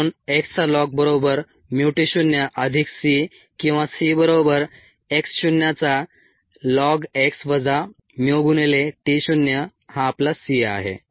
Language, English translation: Marathi, therefore, lon of x equals mu t zero plus c or c equals lon of x zero minus mu of mu into t zero